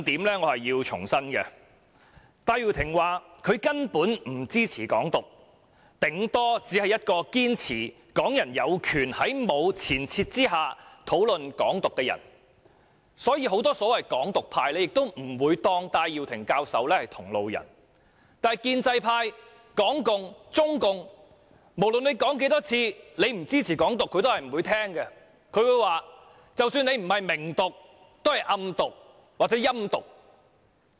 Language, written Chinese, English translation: Cantonese, 戴耀廷教授表示，他根本不支持"港獨"，頂多只是一個堅持港人有權在沒有前設下討論"港獨"的人，所以很多所謂"港獨"派人士也不會把戴耀廷教授視為同路人，但無論他說多少次不支持"港獨"，建制派、港共、中共也是不會聽的，他們會說，即使他不是"明獨"，也是"暗獨"或"陰獨"。, At most he is only someone who insists that Hongkongers have the right to discuss Hong Kong independence without any presupposition . Hence many supporters of Hong Kong independence so to speak do not regard Prof Benny TAI as a comrade - in - arms . But no matter how many times he said he does not support Hong Kong independence the pro - establishment camp the Hong Kong communists and the Communist Party of China CPC would not listen at all